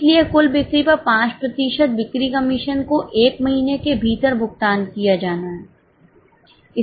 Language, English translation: Hindi, So, sales commission at 5% on total sales is to be paid within a month